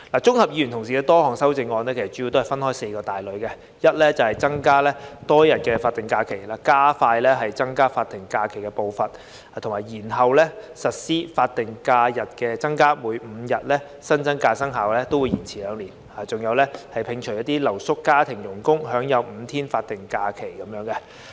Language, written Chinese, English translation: Cantonese, 議員同事的修正案主要分為四大類，即增加多一天法定假期，加快增加法定假期的步伐並延後實施增加法定假日，將增訂5天法定假日的各相關生效日期延遲兩年，以及摒除留宿家庭傭工可享有5天新增法定假日。, The amendments proposed by our colleagues can be classified into four major categories viz . adding one more day of SH; advancing the pace of increasing SHs and deferring the implementation of the additional SHs; deferring the respective effective dates of the five additional SHs for two years and excluding live - in domestic servants from the entitlement to the five additional SHs